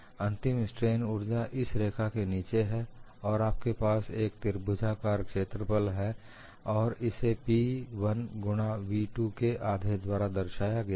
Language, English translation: Hindi, It is below this line and you have this triangular area, mathematically it is half of P 1 into v 1